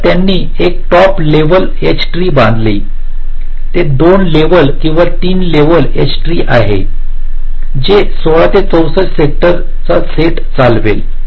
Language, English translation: Marathi, the drive its a two level or three level h tree that will drive a set of sixteen to sixty four sector buffers